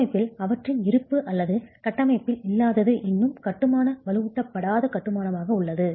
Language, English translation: Tamil, Their presence in the structure or absence in the structure still leaves the masonry as an unreinforced masonry construction